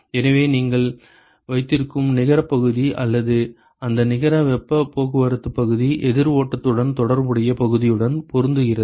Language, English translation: Tamil, So, the net area or that net heat transport area that you have is matched with the counter flow the corresponding area